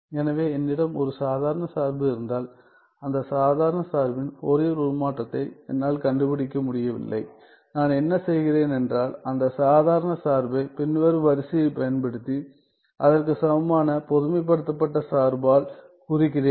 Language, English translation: Tamil, So, if I have an ordinary function and I am not able to find the Fourier transform of that ordinary function, then what I do is I represent that ordinary function into this generalized function equivalent using this following sequence and I am able to find the Fourier transform of that generalized function